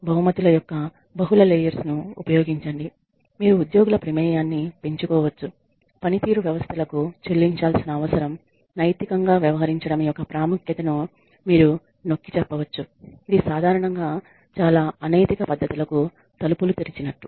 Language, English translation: Telugu, Use multiple layers of rewards, you could increase employee involvement, you could stress the importance of acting ethically you know pay for performance systems usually open the door to a lot of unethical practices